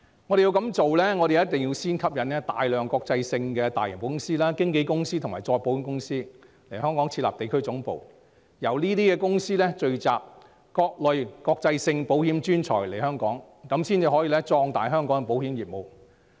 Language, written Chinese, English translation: Cantonese, 如要成事，我們必須先吸引大量國際保險公司、經紀公司及再保險公司來港設立地區總部，由這些公司聚集各類國際保險專才來港，這樣才可壯大香港的保險業務。, If we wish to make it a success must first of all attract a large number of international insurance companies insurance brokerage companies and reinsurance companies to set up their regional headquarters in Hong Kong . These companies will bring various international insurance professionals to Hong Kong in this way we can beef up the insurance business of Hong Kong